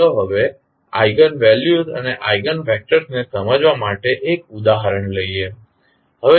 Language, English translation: Gujarati, Now, let us take one example to understand the eigenvalues and the eigenvectors